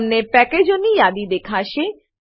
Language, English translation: Gujarati, You will see a list of packages